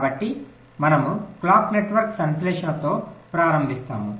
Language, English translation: Telugu, ok, so we start with clock network synthesis